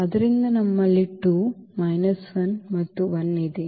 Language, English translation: Kannada, So, we have 2 minus 1 and 1